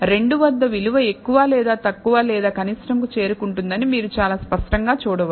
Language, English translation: Telugu, You can see very clearly that the value reaches more or less or minimum at 2 and afterwards it does not significantly change